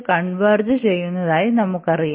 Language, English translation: Malayalam, So, this will also converge